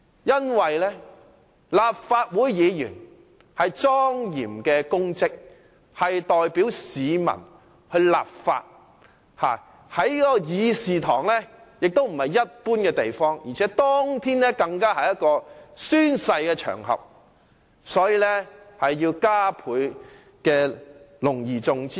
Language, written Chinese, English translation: Cantonese, 因為立法會議員是莊嚴的公職，代表市民立法；而會議廳亦不是一般的地方，當天的會議廳更是宣誓的場合，應要加倍隆而重之對待。, This is because the position of a Member of the Legislative Council is a solemn public office enacting law on behalf of the people . The Chamber is also not a common place . On that day the Chamber was the venue of oath - taking thus it should be all the more cherished and respected